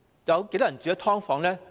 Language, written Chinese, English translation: Cantonese, 有多少人住在"劏房"？, How many people live in subdivided units?